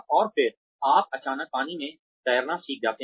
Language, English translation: Hindi, And then, you suddenly learn to swim in the water